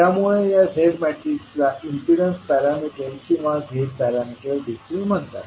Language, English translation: Marathi, So, what you see the matrix in terms of Z is called impedance parameters or you can also say the Z parameters